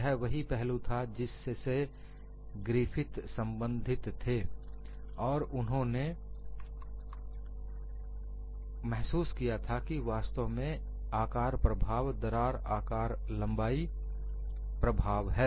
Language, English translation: Hindi, So, what Griffith concluded was, the apparent size effect was actually a crack size effect